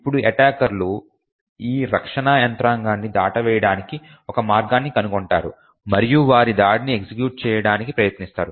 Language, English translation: Telugu, Now the attackers again would find a way to bypass this defense mechanisms and still get their attack to run